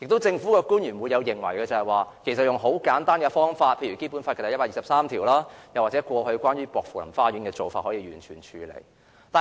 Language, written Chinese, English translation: Cantonese, 政府官員亦會認為解決方法很簡單，可根據《基本法》第一百二十三條或過去薄扶林花園的案例處理。, Government officials may also think that the problem can be easily handled according to Article 123 of the Basic Law or the precedent of Pokfulam Gardens